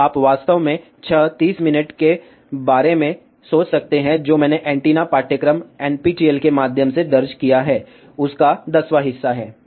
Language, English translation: Hindi, So, you can actually think about six 30 minutes is about one tenth of what I have recorded through antennas course NPTEL